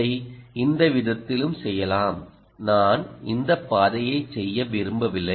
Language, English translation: Tamil, we can also do it this way that i don't want to do this path